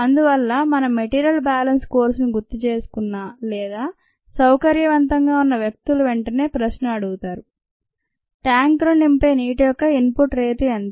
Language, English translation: Telugu, so people who remember, ah, their material balance scores or who are comfortable with this will immediately ask the question: what is the input rate of water that fills the tank